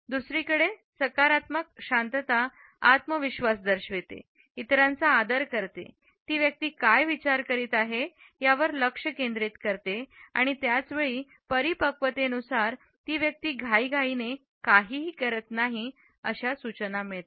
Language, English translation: Marathi, On the other hand positive silence indicates confidence, respect for others, focus on what the person is thinking and at the same time maturity by suggesting that the person is not in hurry to blurt out something